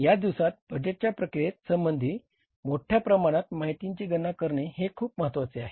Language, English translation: Marathi, So, these days, this calculation of the information is also very crucial as far as the budgeting process is concerned